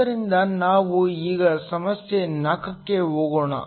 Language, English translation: Kannada, So, let us now go to problem 4